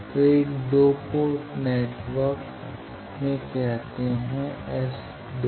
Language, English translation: Hindi, So, in a 2 port network say that easiest one